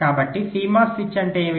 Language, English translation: Telugu, so what is a cmos switch